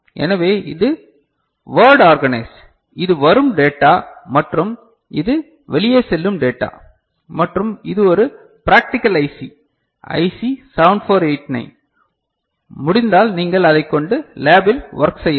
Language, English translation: Tamil, So, this is word you know, organized right and this is the data coming in and this is the data going out and we have some, this particular thing a practical IC, IC 7489; if possible you can work with it in the lab